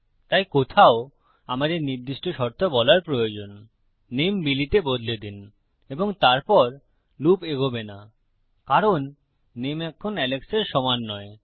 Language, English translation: Bengali, So somewhere we need to say on a specific condition change the name to Billy and then the loop wont continue any more because the name is not equal to Alex